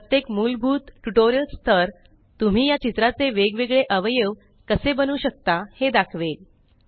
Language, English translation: Marathi, Each basic level tutorial will demonstrate how you can create different elements of this picture